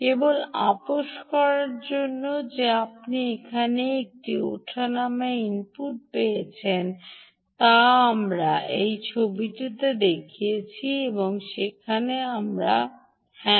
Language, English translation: Bengali, just to compromise ah that you got a fluctuating input here, which we showed in this picture ah, where we ah